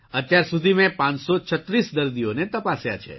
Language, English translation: Gujarati, So far I have seen 536 patients